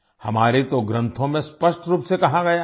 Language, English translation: Hindi, It is clearly stated in our scriptures